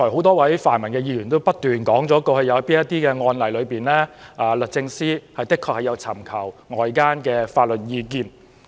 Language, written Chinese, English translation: Cantonese, 多位泛民議員剛才也不斷重複提出某些案例，指律政司確曾就此尋求外間法律意見。, A number of pan - democratic Members have repeatedly cited certain cases just now to illustrate that external legal advice has indeed been sought by the Department of Justice in similar cases